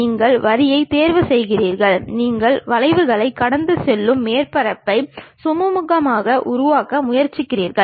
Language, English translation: Tamil, You pick lines, you try to smoothly construct a surface passing through this curves